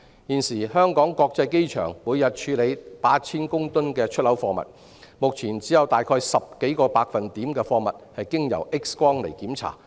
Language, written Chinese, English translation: Cantonese, 現時，香港國際機場每天處理 8,000 公噸出口貨物，但只有10多個百分點的貨物會經 X 光檢查。, At present the Hong Kong International Airport handles 8 000 tonnes of export goods every day but only some 10 % of such goods are subject to X - ray screening